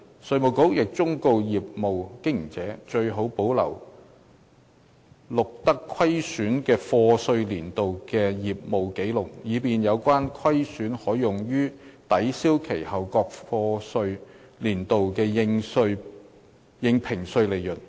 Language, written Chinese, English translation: Cantonese, 稅務局亦忠告業務經營者，最好保留錄得虧損的課稅年度的業務紀錄，以便有關虧損可用於抵銷其後各課稅年度的應評稅利潤。, IRD has also advised that it is a good idea for a business operator to keep the business records for a year of assessment in which losses were recorded to facilitate the losses to be set off against the assessable profits for the various years of assessment thereafter